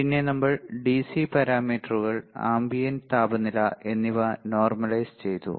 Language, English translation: Malayalam, Then we have normalized DC Parameters versus ambient temperature